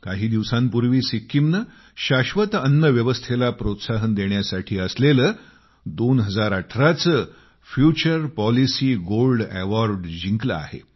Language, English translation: Marathi, A few days ago Sikkim won the prestigious Future Policy Gold Award, 2018 for encouraging the sustainable food system